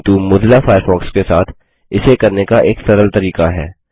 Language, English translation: Hindi, But there is an easier way to do the same thing with Mozilla Firefox